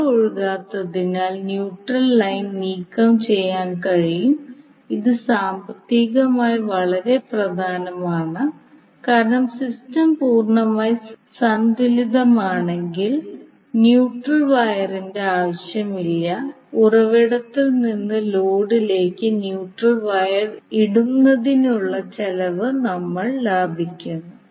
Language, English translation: Malayalam, So neutral line can thus be removed because since, there is no current flowing you can remove the neutral wire and this is economically very important to understand that if the system is completely balanced the neutral wire is not required and we save cost of laying the neutral wire from source to load